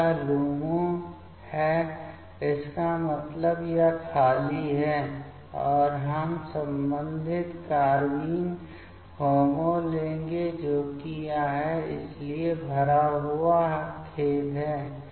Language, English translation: Hindi, So, this is the LUMO means this is the empty π*, and we will take the corresponding carbene HOMO that is this one, so the filled up sorry